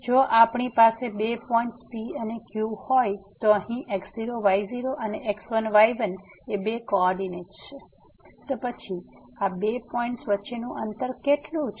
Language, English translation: Gujarati, So, if we have two points P and Q having two coordinates here and ; then, what is the distance between these two points